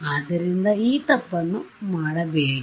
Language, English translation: Kannada, So, do not make that mistake